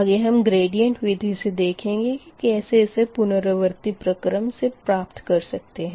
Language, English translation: Hindi, later, later we will see the gradient method, how we will go for iterative way